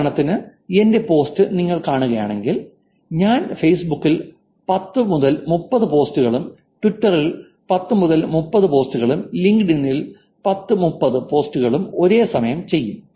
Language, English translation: Malayalam, But if the person is doing the same, like for example, you see my post, I'll do 1030 on Facebook, 1030 on Twitter and 1030 on LinkedIn, all at the same time